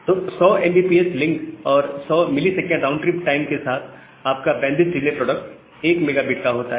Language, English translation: Hindi, So, with 10 mbps link and 100 millisecond RTT, your bandwidth delay product comes to be 1 megabit